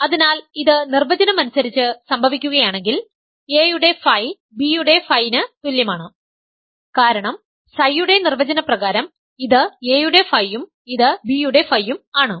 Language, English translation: Malayalam, So, if this happens by definition phi of a is equal to phi of b because this is phi of a by definition of psi and this is phi of b